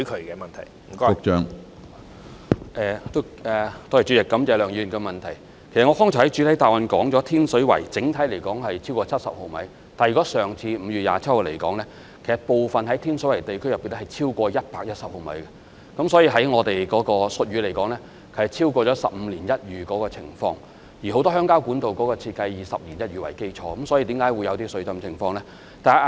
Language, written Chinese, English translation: Cantonese, 我剛才在主體答覆中已經指出，以上次5月27日為例，天水圍等地區的整體降雨量超過70毫米，但天水圍部分地區更超過110毫米，按照我們的術語，是超過"十五年一遇"的情況，而很多鄉郊管道的設計是以"十年一遇"為基礎，特大暴雨相信是此次出現水浸的主因。, As I already pointed out in the main reply earlier on 27 May for instance an overall rainfall in excess of 70 mm was recorded in such districts as Tin Shui Wai but the amount of rainfall even exceeded 110 mm in some parts of Tin Shui Wai . To put it in our jargon it was a situation with a return period of 1 in 15 years whereas many channels and pipes in the rural areas were designed on the basis of having a return period of 1 in 10 years . The exceptionally serious rainstorm is believed to be the main cause of the flood